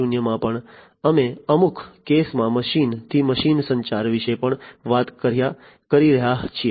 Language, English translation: Gujarati, 0, we are also talking about in certain cases machine to machine communication